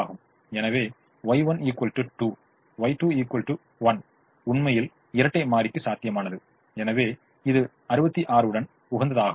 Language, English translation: Tamil, so y one equal to two, y two equal to one is actually feasible to the dual and therefore it is optimum with sixty six